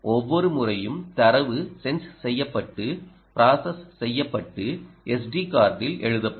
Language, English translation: Tamil, each time data was sensed, processed and written to s d card, no problem